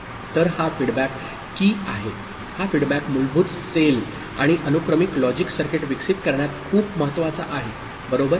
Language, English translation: Marathi, So, this feedback is key; this feedback is very important in developing the basic cell and the sequential logic circuit, right